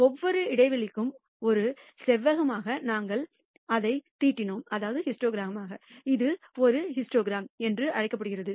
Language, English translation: Tamil, And that is what we plotted as a rectangle for each interval and this is known as a histogram